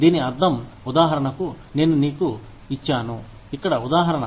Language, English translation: Telugu, This means that, for example, i have given you, the example here